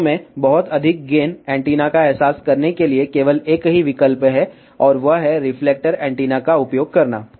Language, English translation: Hindi, In fact, to realize very high gain antenna, there is a only one choice, and that is to use reflector antennas